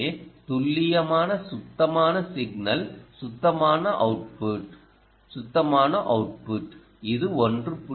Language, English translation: Tamil, so i will say accurate, clean signal signal, ah, clean output, clean output